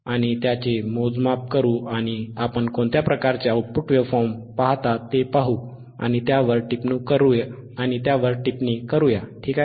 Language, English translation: Marathi, lLet us measure it and let us see what kind of output waveform, we see and let us comment on it, alright